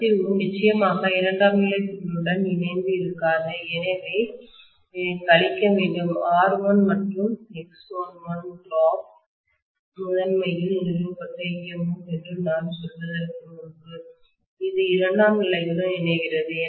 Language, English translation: Tamil, The leakage definitely does not link with the secondary coil so I have to necessarily subtract R1 and XL1 drop before I really say that this is what is established in the EMF in the primary, which is linking with the secondary, right